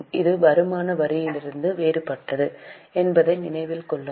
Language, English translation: Tamil, Keep in mind, this is different from the income tax